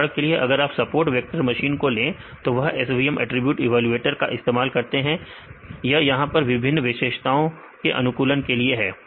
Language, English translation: Hindi, For example, if you take a support vector machines they use the SVM attribute evaluator; this is here to optimize these different features